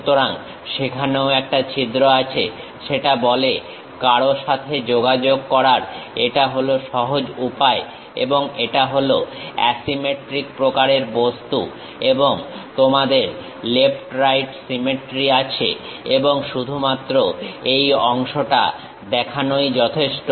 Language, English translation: Bengali, So, it is a easy way of communicating with anyone saying that there also hole and it is a symmetric kind of object and left right symmetry you have and just showing this part is good enough